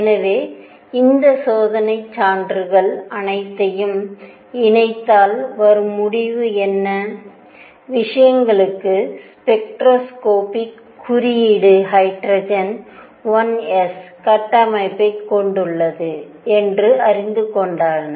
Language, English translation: Tamil, So, combining all these experimental, combining all these experimental evidences what was concluded and people also gave you know spectroscopic notation to things that hydrogen had a structure of 1 s